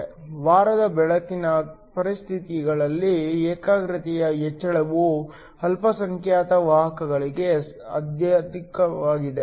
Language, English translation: Kannada, Under conditions of week illumination, the increase in the concentration is highest for the minority carriers